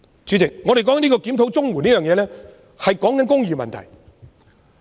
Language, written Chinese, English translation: Cantonese, 主席，我們討論檢討綜援，是談論公義問題。, President when we discuss reviewing CSSA we are talking about justice